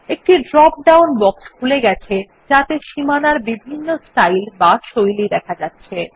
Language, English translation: Bengali, A drop down box opens up containing several border styles